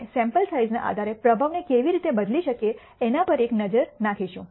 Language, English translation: Gujarati, We will take a look at how we can alter the performance based on sample size